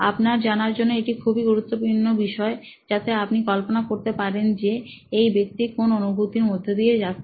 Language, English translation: Bengali, This is important for you to visualize what kind of journey is this person going through